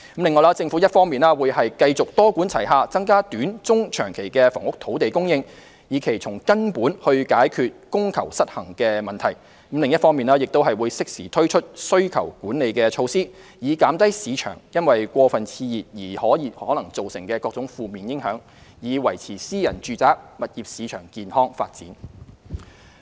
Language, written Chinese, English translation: Cantonese, 此外，政府一方面會繼續多管齊下增加短、中、長期的房屋土地供應，以期從根本解決供求失衡的問題；另一方面則會適時推出需求管理措施，以減低市場因過分熾熱而可能造成的各種負面影響，以維持私人住宅物業市場健康發展。, In addition the Government will continue to adopt a multi - pronged approach to increase land supply in the short medium and long term with a view to fundamentally solving the problem of supply - demand imbalance . On the other hand the Government will introduce demand - side management measures in a timely manner so as to minimize adverse consequences arising from an overheated market and maintain the healthy development of the private residential property market